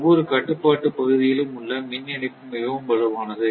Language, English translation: Tamil, So, the electrical interconnection within each control area are very strong